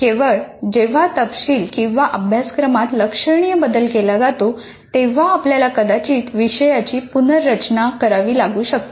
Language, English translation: Marathi, Only when the content or the syllabus significantly changes, you may have to go through the complete redesign of the course